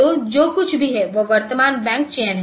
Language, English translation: Hindi, So, that is the current bank selection whatever is there